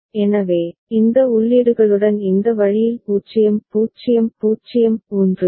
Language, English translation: Tamil, So, with these inputs these way it has been written 0 0 0 1, 0 0 1 0, 1 1 0 0; this is for DB ok